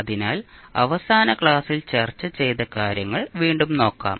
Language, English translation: Malayalam, So, let us recap what we were discussing in the last class